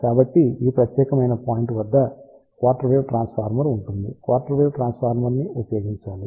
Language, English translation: Telugu, So, hence we have to use a quarter wave transformer at this particular point quarter wave transformer we put it over here